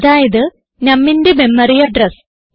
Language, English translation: Malayalam, That is the memory address of num